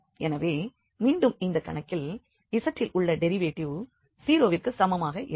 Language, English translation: Tamil, So, we have again in this problem, the derivative at z equal to 0